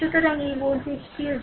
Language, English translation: Bengali, So, this voltage is v 3 right